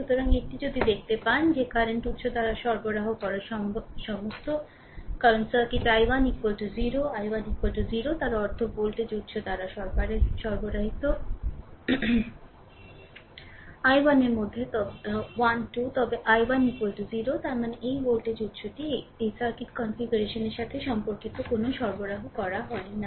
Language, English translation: Bengali, So, if you if you see that that all the power supplied by the current source, because in the circuit i 1 is equal to 0 i 1 is equal to 0; that means, power supplied by voltage source is 12 into i 1 but i 1 is equal to 0; that means, this voltage source is not supplied any power as per this circuit configuration is concerned right